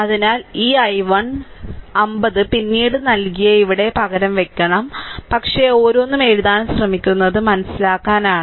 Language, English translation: Malayalam, So, this i 1, you have to substitute here 50 later later I have given, but just for your understanding trying to ah write each and everything